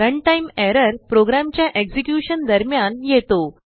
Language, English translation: Marathi, Run time error occurs during the execution of a program